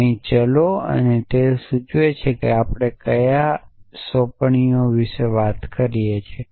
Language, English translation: Gujarati, variables here and they dictate what assignments are we talking about essentially